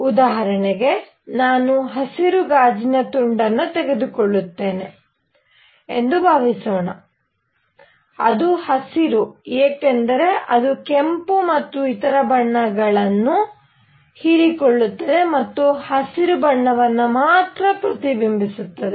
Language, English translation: Kannada, For example, suppose I take a green piece of glass, it is green because it absorbs the red and other colors and reflects green